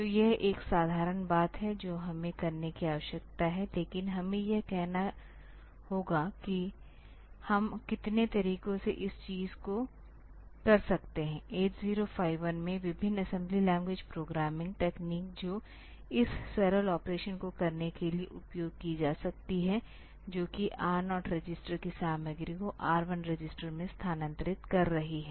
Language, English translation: Hindi, So, this is a simple thing that we need to do, but we have to say in how many ways we can do this thing what are the different assembly language programming techniques in 8051 that can be utilized for doing this simple operation that is transferring the content of register R 0 to register R 1